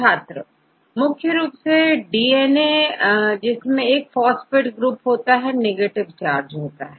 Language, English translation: Hindi, Mainly DNA has a negative charge because the phosphate group